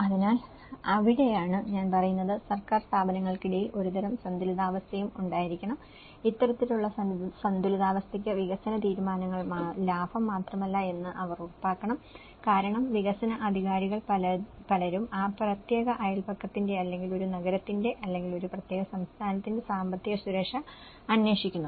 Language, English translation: Malayalam, So, that is where, I am saying about there should be also some kind of balance between the government bodies and they should ensure, this kind of balance can ensure that the development decisions are not only profit seeking because many of the development authorities look for the economic security of that particular neighbourhood or a city or a particular state